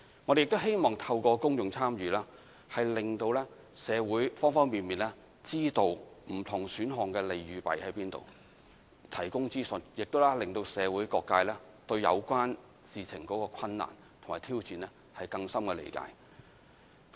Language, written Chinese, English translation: Cantonese, 我們希望透過公眾參與，令社會方方面面，知道不同選項的利與弊，並提供資訊，令社會各界對有關事情的困難及挑戰，有更深的理解。, Through the exercise we hope that various sectors of society will have a grasp of the pros and cons of various options and develop a deeper understanding of the difficulties and challenges of the relevant issues with the information provided to them